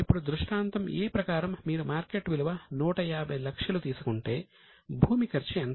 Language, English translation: Telugu, Now if you take scenario A where the market value is 150, how much is a cost of land